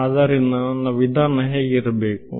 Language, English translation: Kannada, So, what should my approach be